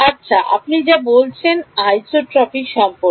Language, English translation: Bengali, Well that is what you said was about isotropic